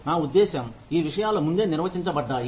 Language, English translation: Telugu, I mean, these things are defined earlier